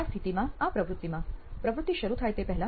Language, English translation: Gujarati, In this case, in this activity, before the activity starts